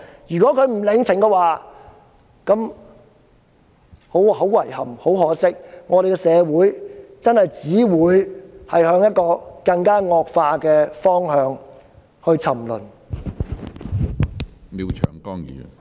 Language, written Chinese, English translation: Cantonese, 如果中共不領情，那便很遺憾、很可惜，因為我們的社會真的只會向一個更惡化的方向沉淪。, In case CPC does not appreciate this then much to our regret our society will only degenerate into a much worse direction